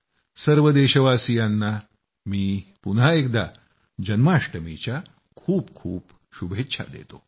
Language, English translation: Marathi, I once again wish all the countrymen a very Happy Janmashtami